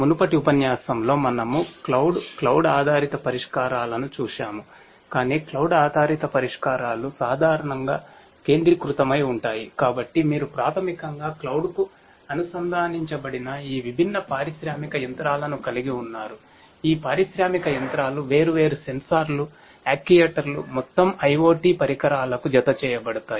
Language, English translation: Telugu, So, you have all these different industrial machinery that are basically connected to the cloud, these industrial machinery they themselves are attached to different sensors, actuators, IoT devices overall and so on